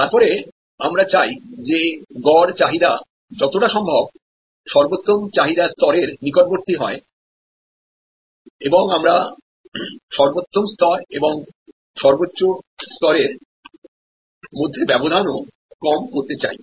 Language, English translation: Bengali, Then we want that average demand level to be as close to the optimum demand level as possible and we also want to reduce the gap between the optimal level and the maximum level